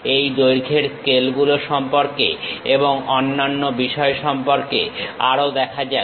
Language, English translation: Bengali, Let us look at more about these lengths scales and other things